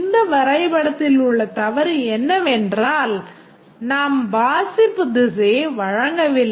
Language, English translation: Tamil, The mistake in this diagram is that we have not given the reading direction